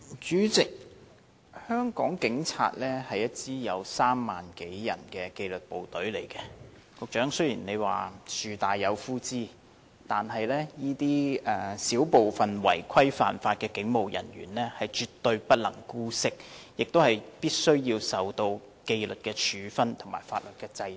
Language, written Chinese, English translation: Cantonese, 主席，香港警隊是一支有3萬多人的紀律部隊，雖然局長說樹大有枯枝，但我們絕不能姑息這少部分違規犯法的警務人員，他們必須受到紀律處分和法律制裁。, President the Hong Kong Police Force are a disciplined service consisting of more than 30 000 people . Although the Secretary said there is black sheep in every flock we absolutely cannot tolerate this minority of police officers who have breached the rules and violated the law . They must be subject to disciplinary actions and brought to justice